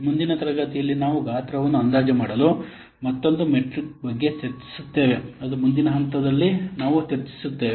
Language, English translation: Kannada, In the next class, we will discuss about another metric for estimating size that is a function point that will discuss in the next class